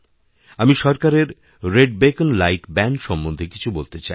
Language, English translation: Bengali, I wish to say something on the government's ban on red beacons